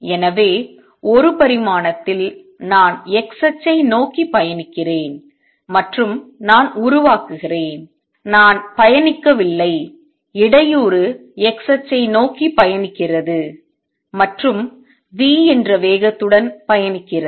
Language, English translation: Tamil, So, in one dimension suppose I am travelling towards the x axis and I create, I am not travelling the disturbance is traveling towards the x axis and travels with speed v